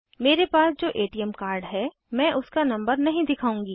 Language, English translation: Hindi, I am not going to show the number of the ATM card that i have